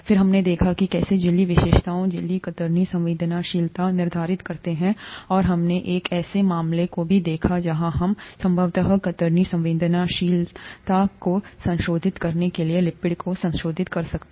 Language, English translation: Hindi, Then we saw how the membrane characteristics determine membrane shear sensitivity, and we also looked at a case where we could possibly modify the lipids to modify the shear sensitivity